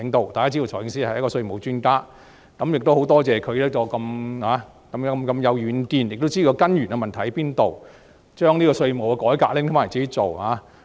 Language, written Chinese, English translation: Cantonese, 大家都知道財政司司長是一位稅務專家，也多謝他很有遠見，知道問題的根源在哪裏，把稅務改革任務交由他自己負責。, Everyone knows that the Financial Secretary is a tax expert and I appreciate his farsightedness for taking charge of the tax reform task since he knows the root problems